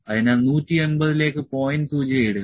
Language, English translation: Malayalam, So, index the point to 180